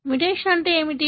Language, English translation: Telugu, What is the mutation